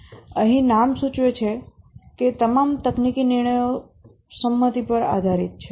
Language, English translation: Gujarati, Here as the name implies, all technical decisions are based on consensus